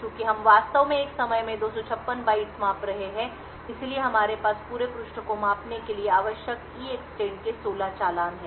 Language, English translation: Hindi, Since we are actually measuring 256 bytes at a time so therefore, we have 16 invocations of EEXTEND needed to measure the whole page